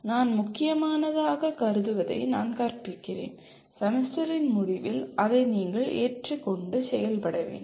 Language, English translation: Tamil, I teach what I consider important and at the end of the semester that is what you are required to accept and perform